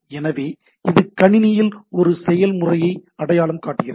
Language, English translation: Tamil, So that identifies a process in the system